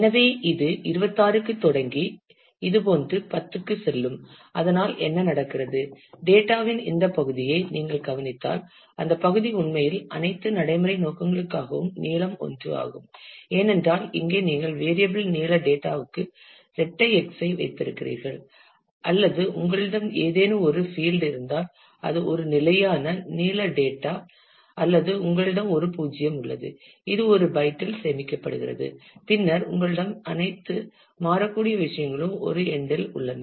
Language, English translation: Tamil, So, this will start to 26 and go for 10 such; so what happens is; if you look into this part of the data, then that part is actually for all practical purposes the fix length 1, because here you are just keeping double x for the variable length data or you have some field which is a fixed length data anyway or you have a null which is stored in one byte, and then you have all the variable stuff at one end